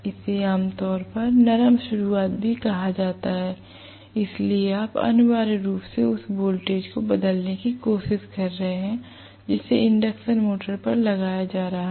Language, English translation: Hindi, This is also generally termed as soft start, so you are essentially trying to look at changing the voltage that is being applied to the induction motor